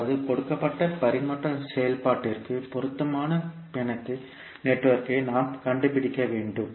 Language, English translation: Tamil, That means we are required to find a suitable network for a given transfer function